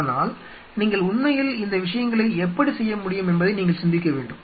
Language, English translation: Tamil, But you have to think how you really can make these things happen